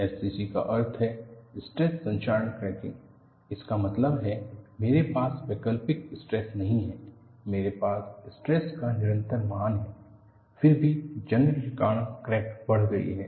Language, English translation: Hindi, SCC means stress corrosion cracking; that means, I do not have alternating stress; I have a constant value of stress; nevertheless, because of corrosion, the crack has grown